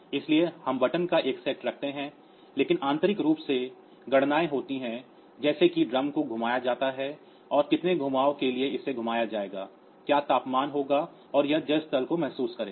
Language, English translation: Hindi, So, they we see a set of buttons, but internally there are computations like when the drum is rotated for how many turns it will be rotated what will be the temperature and it will sense the water level and all that